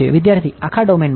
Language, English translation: Gujarati, In the whole domain